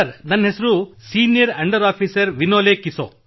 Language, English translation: Kannada, This is senior under Officer Vinole Kiso